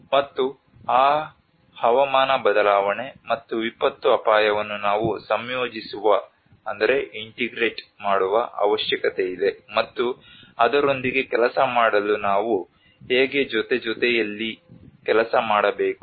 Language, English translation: Kannada, And there is a need that we need to integrate that climate change and the disaster risk and how we have to work in hand in hand to work with it